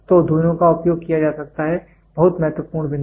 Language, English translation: Hindi, So, both can be used, very important point